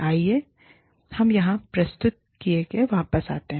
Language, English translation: Hindi, Let us, get back to the presentation, here